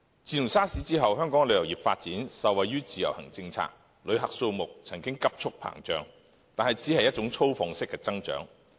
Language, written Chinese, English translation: Cantonese, 自 SARS 後，香港的旅遊業發展受惠於自由行政策，旅客數目曾急速膨脹，但只是一種粗放式的增長。, After the SARS epidemic Hong Kongs tourism industry benefited from the policy on IVS and there had been a sharp increase in the number of visitors but that is a kind of extensive growth